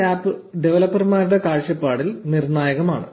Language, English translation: Malayalam, Now this concept of apps is crucial from the developers' perspective